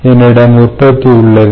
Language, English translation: Tamil, so we know the production